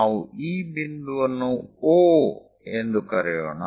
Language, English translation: Kannada, So, let us call this point as O